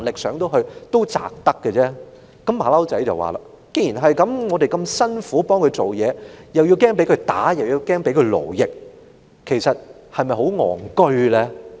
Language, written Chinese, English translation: Cantonese, "小猴子接着說："既然如此，我們這麼辛苦替他工作，又要害怕被他暴打和勞役，其實是否很愚蠢呢？, The infant said subsequently If so is it actually very stupid for us to work hard for him while fearing his brutal beating and slave - driving? . Such a remark made by the infant opened the eyes of the troop